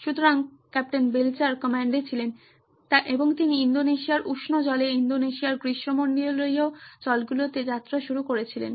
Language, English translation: Bengali, So, Captain Belcher was in command and he started sailing in the warmer waters of Indonesia, tropical waters of Indonesia